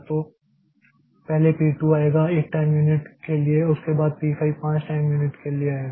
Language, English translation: Hindi, So, the first P0, first P2 will come for one time unit and after that P5 will come for 5 time units